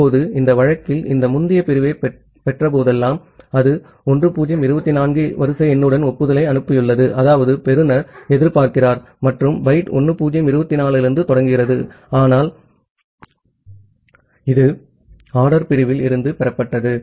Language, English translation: Tamil, Now, at this case, whenever it has received this previous segment, it has sent an acknowledgement with sequence number as 1024; that means, the receiver is expecting and segment starting from byte 1024, but it has received this out of order segment